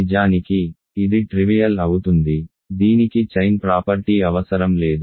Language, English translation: Telugu, In fact, this is trivial; this does not require a chain property